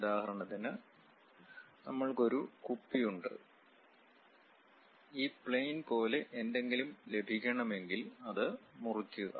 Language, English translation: Malayalam, For example, we have a water bottle and if we are going to have something like this plane, slice it